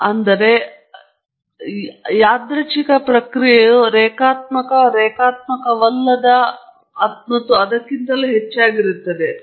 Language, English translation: Kannada, Or if the underlying random process is linear, non linear and so on